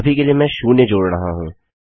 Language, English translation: Hindi, At the moment I am adding zero